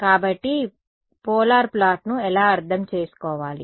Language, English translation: Telugu, So, that is just how to interpret a polar plot